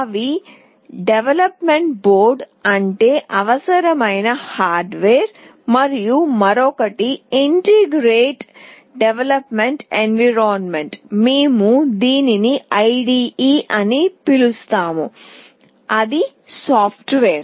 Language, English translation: Telugu, One is the development board, that is the hardware that is required, and another is Integrated Development Environment, we call it IDE that is the software